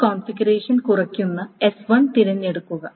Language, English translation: Malayalam, So choose that S1 that minimizes this configuration